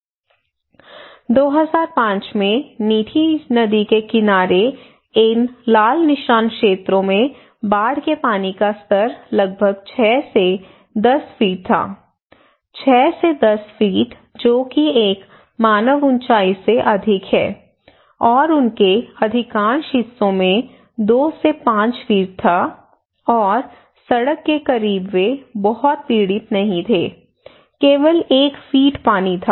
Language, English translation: Hindi, The flood level in 2005 and these areas, the red mark areas close to the Mithi river, these areas were around six to ten feet of water, six to ten feet that is more than a human height okay and also they had two to five feet in most of the parts and close to the road they were not much suffered, only one feet of water